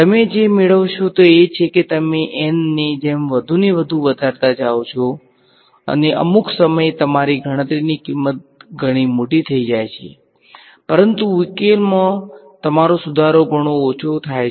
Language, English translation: Gujarati, What you will find is as you begin increasing N more and more and more at some point your cost of computation becomes very large , but your improvement in solution becomes very less